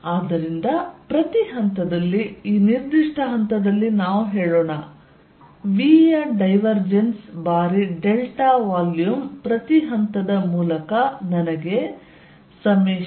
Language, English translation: Kannada, So, that at each point let us say this point at this given point I have divergence of v times delta volume is equal to summation i v dot d s through each